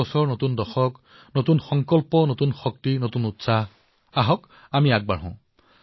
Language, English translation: Assamese, New Year, new decade, new resolutions, new energy, new enthusiasm, new zeal come let's move forth